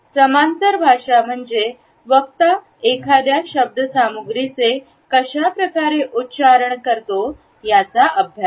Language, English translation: Marathi, Paralanguage is the study of how a speaker verbalizes a particular content